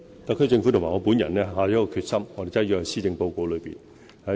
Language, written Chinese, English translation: Cantonese, 特區政府與我本人下定的決心，已寫進施政報告中。, What the SAR Government and I are resolved to achieve has been written into the Policy Address